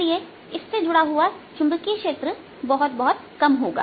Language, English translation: Hindi, so associated magnetic field is really very, very small